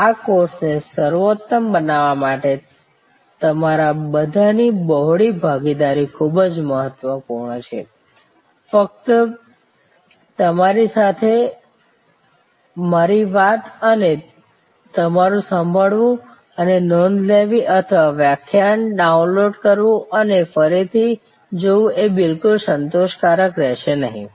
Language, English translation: Gujarati, Wider participation from all of you would be very important to make this course superlative, just my talking to you and your listening and taking notes or downloading the lecture and seeing it again will not be at all satisfactory